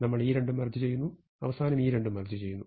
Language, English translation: Malayalam, We want to merge these two, and we want to merge these two